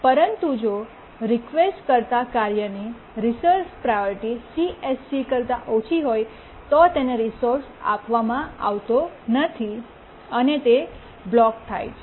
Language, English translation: Gujarati, But if the task requesting the resource priority of the task is less than CSEC, it is not granted the resource and it blocks